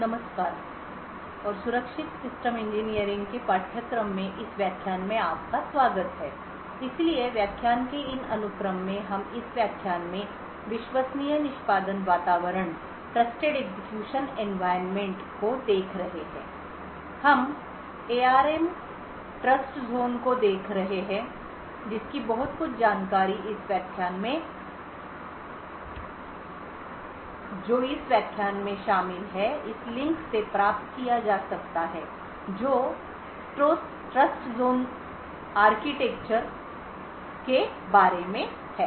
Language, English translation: Hindi, Hello and welcome to this lecture in the course for Secure Systems Engineering, so in these sequence of lectures we have been looking at Trusted Execution Environments in this lecture we will be looking at the ARM Trustzone so a lot of this information that we covering in this lecture can be obtained from this link which is about the Trustzone architecture